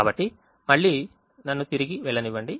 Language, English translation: Telugu, so again, let me go back